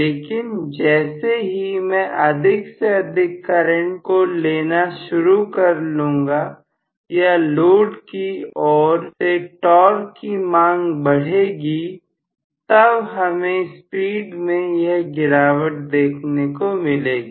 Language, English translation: Hindi, But as I have more and more current drawn, or the torque demanded from the load side, I am going to have at this point so much of drop in the speed